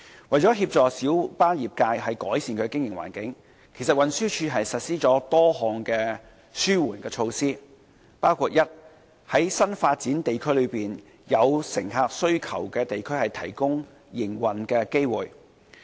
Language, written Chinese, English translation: Cantonese, 為了協助小巴業界改善其經營環境，其實運輸署實施了多項紓緩措施，包括：第一，在新發展地區內有乘客需求的地區提供營運機會。, To help improve the business environment of the minibus trade the Transport Department TD has implemented a number of relief measures including firstly providing business opportunities in areas with passenger demand in new development areas